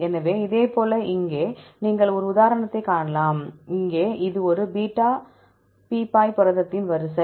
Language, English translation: Tamil, So, likewise here you can see one example, here this is the sequence for one beta barrel protein